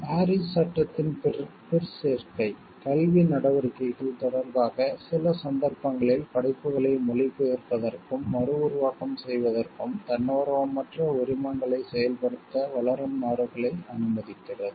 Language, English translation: Tamil, The appendix to the Paris act the convention also permits developing countries to implement non voluntary licences for translation and reproduction of the work in certain cases in connection with educational activities